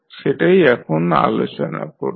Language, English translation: Bengali, So, we will discuss